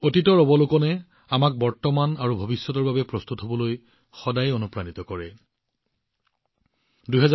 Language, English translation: Assamese, Observation of the past always gives us inspiration for preparations for the present and the future